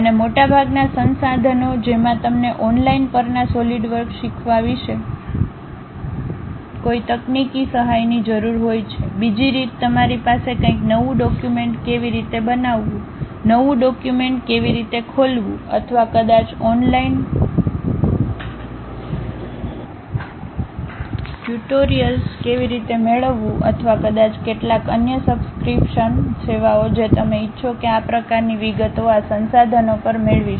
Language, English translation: Gujarati, And most of the resources you require any technical help regarding learning Solidworks one on online you will learn, other way you will have something like how to create a new document, how to open a new document or perhaps how to get online tutorials or perhaps some other subscription services you would like to have these kind of details we will get at this resources